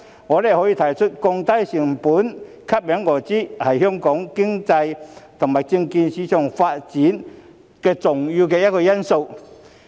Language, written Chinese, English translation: Cantonese, 我們可以看出，降低交易成本吸引外資，是香港經濟和證券市場發展的重要因素之一。, It can be seen that reducing transaction costs to attract foreign investment is one of the important factors contributing to the development of our economy and the securities market